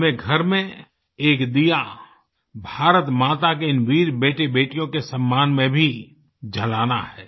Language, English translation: Hindi, We have to light a lamp at home in honour of these brave sons and daughters of Mother India